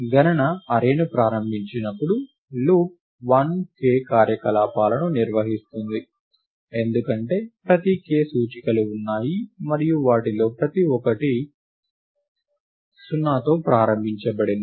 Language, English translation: Telugu, The loop 1, which was initializing the count array performed k operations, because every there are k indices and each of them was initialized to 0